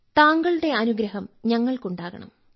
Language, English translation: Malayalam, I need your blessings